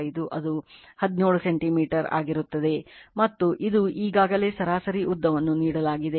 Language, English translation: Kannada, 5 that is equal to 17 centimeter right and this is already mean length is given